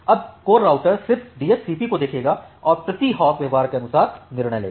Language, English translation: Hindi, Now the core router it will just look at to the DSCP and decides the corresponding per hop behaviour